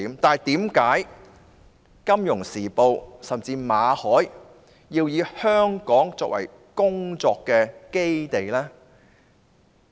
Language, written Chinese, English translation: Cantonese, 然而，為何《金融時報》甚至馬凱要以香港作為工作基地？, However why did the Financial Times and even MALLET choose Hong Kong as the base of their operations?